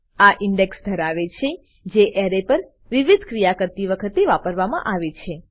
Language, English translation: Gujarati, It has an index, which is used for performing various operations on the array